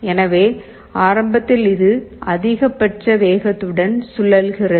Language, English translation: Tamil, So, initially it is rotating with the maximum speed